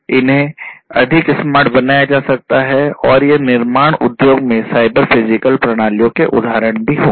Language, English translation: Hindi, These could be made smarter and these would be also examples of cyber physical systems, in the industry, in the manufacturing industry